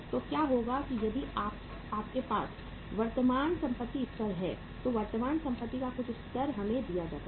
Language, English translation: Hindi, So what will happen that if you have the current assets level, some level of the current asset is given to us